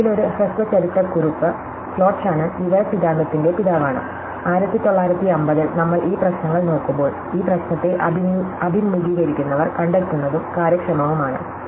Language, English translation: Malayalam, So, finally a brief historical note, so Clot Shannon is the father of information theory and when, we are looking at these problems around 1950 or, so they were faced with this problem are finding an efficient encoding